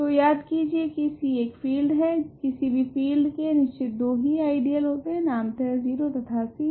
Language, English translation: Hindi, So, remember C is a field, any field as a exactly two ideal; so, namely the 0 ideal and C